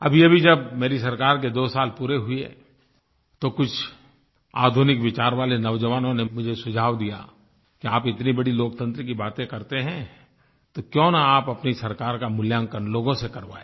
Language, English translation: Hindi, Recently, when my government completed two years of functioning, some young people of modern thinking suggested, "When you talk such big things about democracy, then why don't you get your government rated by the people also